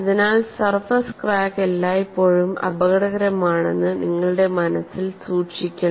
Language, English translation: Malayalam, So, because of that you have to keep in mind, the surface cracks are always dangerous